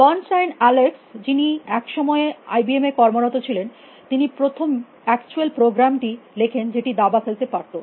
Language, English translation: Bengali, Bernstein Alex once and who work then IBM was the person to who wrote the first actual program, which could play chess